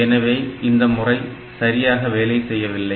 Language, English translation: Tamil, So, this return will not work